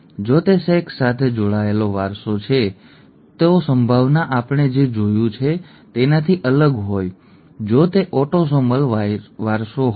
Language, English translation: Gujarati, If it is sex linked inheritance the probabilities would be different from what we have seen if they had been autosomal inheritance